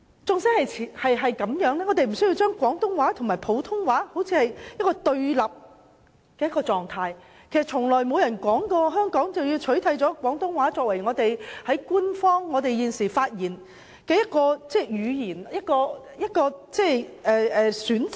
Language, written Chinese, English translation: Cantonese, 儘管如此，我們無須把廣東話和普通話置於對立狀態，事實上亦不曾有人表示要取締廣東話作為我們發言時的一個語言選擇。, Nonetheless there is no need to place Cantonese and Putonghua in a confronting position . As a matter of fact no one has ever said that Cantonese as a choice of language when we speak shall be replaced